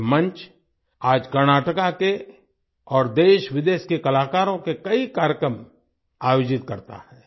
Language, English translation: Hindi, This platform, today, organizes many programs of artists from Karnataka and from India and abroad